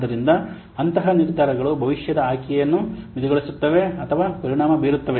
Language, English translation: Kannada, So such decisions will limit or affect the future options